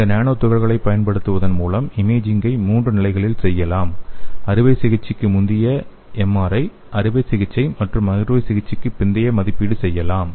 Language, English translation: Tamil, So by using these nanoparticles, we can do the imaging at three levels like, pre surgery MRI, surgery and also we can evaluate after post surgery also